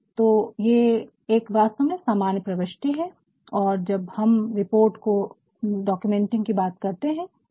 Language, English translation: Hindi, So, this is actually the normal entry and now when we talk about documentation documenting our report